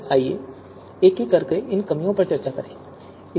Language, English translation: Hindi, So let us discuss them one by one